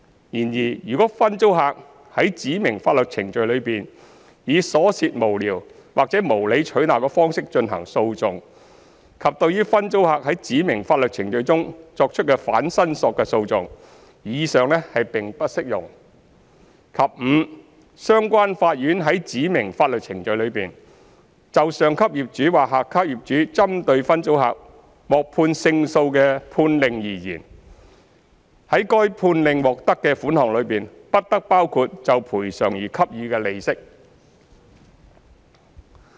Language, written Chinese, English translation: Cantonese, 然而，如分租客在指明法律程序中以瑣屑無聊或無理取鬧的方式進行訴訟，以及對於分租客在指明法律程序中作出的反申索的訟費，以上並不適用；及五相關法院在指明法律程序中，就上級業主或下級業主針對分租客獲判勝訴的判令而言，在該判令獲得的款項中，不得包括就賠償而給予的利息。, This however does not apply if the sub - tenant has conducted his case in the specified proceedings in a frivolous or vexatious manner or in respect of the costs of any counterclaim made by the subtenant in the specified proceedings; and 5 no interest on compensation may be included in the sum for which judgment is given by the relevant courts in favour of the superior landlord or sub - landlord against the sub - tenant in the specified proceedings